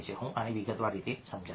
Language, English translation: Gujarati, i will explain this in a detailed way